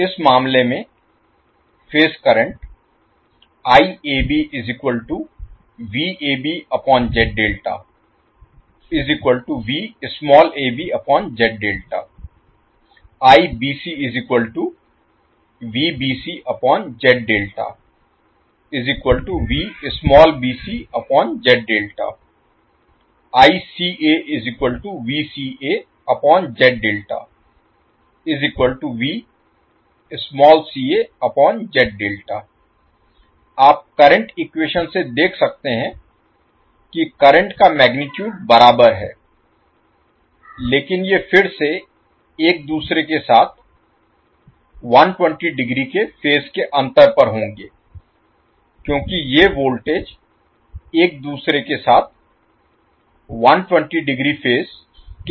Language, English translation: Hindi, So you can see from the current equations that the currents have the same magnitude but these will again be out of phase with each other by 120 degree because these voltages are out of phase with each other by 120 degree